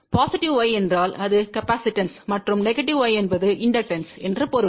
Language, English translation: Tamil, Positive y means it is capacitive and negative y would mean inductive ok